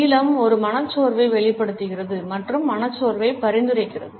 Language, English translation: Tamil, The blue expresses a melancholy attitude and suggest depression